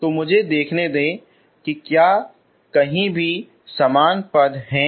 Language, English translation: Hindi, So let me see if they are common to anywhere